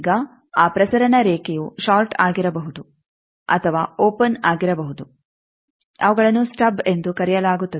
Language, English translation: Kannada, Now, that transmission line may be shorted or opened that are called stub